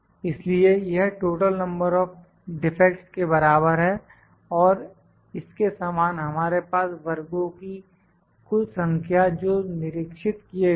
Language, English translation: Hindi, So, this is equal to sum of total number of defects, and similar to this we have total number of species which are inspected